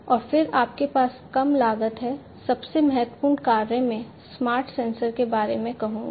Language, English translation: Hindi, And then you have the reduced cost, the most important function I would say of a smart sensor